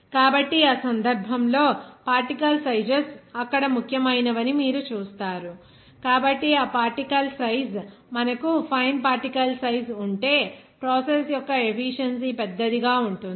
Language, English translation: Telugu, So, in that case, you will see that particle sizes matter there, so this particle size, if you have more finer particle size, their efficiency of the process will be larger